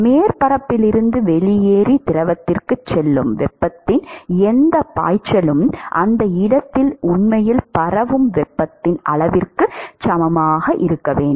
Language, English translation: Tamil, Whatever flux of heat that be leaves the surface and goes to the fluid should be equal to the amount of heat that is actually diffusing at that location